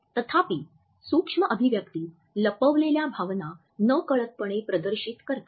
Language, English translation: Marathi, However, micro expressions unconsciously display a concealed emotion